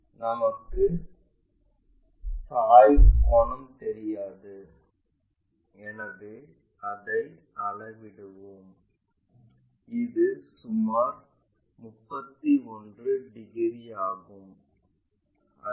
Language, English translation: Tamil, The inclination angle we do not know so let us measure that, this is around 31 degrees, this one 31 degrees